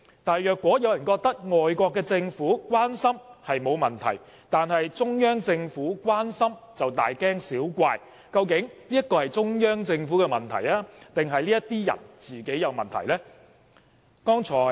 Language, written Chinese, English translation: Cantonese, 但是，如果有人覺得外國政府關心並無問題，但對中央政府的關心卻大驚小怪，究竟這是中央政府的問題還是這些人本身有問題？, However if some people consider that there is no problem for foreign countries to be concerned about the Chief Executive Election but are alarmed by the concern expressed by the Central Peoples Government does the problem lie in the Central Peoples Government or these people?